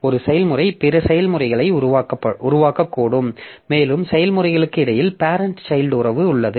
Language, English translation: Tamil, Now one process may create other processes and there is a parent child relationship between the processes